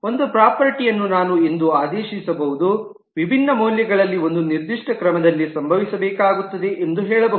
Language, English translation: Kannada, A property could be ordered, that I can say that within different values will have to occur in a certain order, and so on